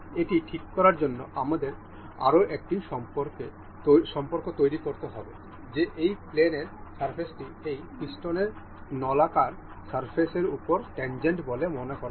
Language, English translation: Bengali, To fix, this we will have to make another relation that this surface of this pin is supposed to be tangent over the cylindrical surface of this piston